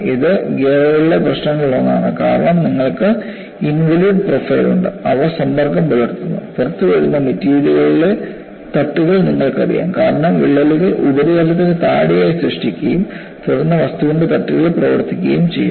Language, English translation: Malayalam, This is one of the issues in gears also, because you have involute profile, that they come in contact, you know flakes of material that come out; because cracks generate below the surface and then flakes of material come out in operation